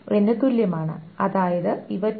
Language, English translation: Malayalam, x, which means these are also equal to t2